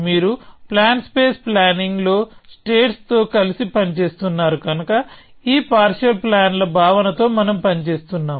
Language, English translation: Telugu, Because you are working with states in plan space planning, we are working with the notion of these partial plans